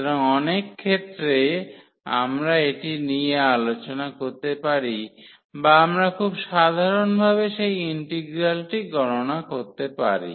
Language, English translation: Bengali, So, in many cases we can discuss that or we can compute that integral in a very simple fashion